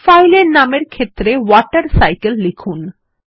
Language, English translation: Bengali, The file is saved as WaterCycle